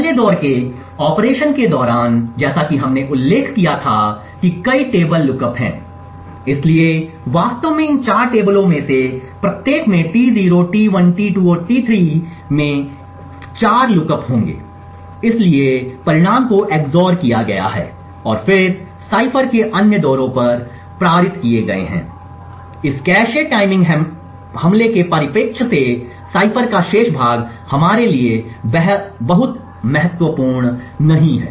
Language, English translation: Hindi, During the 1st round operation as we had mentioned there are several table lookups, so in fact each of these 4 tables Te0, Te1, Te2 and Te3 would have 4 lookups each, so the results are XOR and then passed on the other rounds of the cipher, so the remaining part of cipher from this cache timing attack perspective is not very important for us